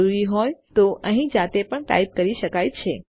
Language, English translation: Gujarati, Also can be manually typed in here if needed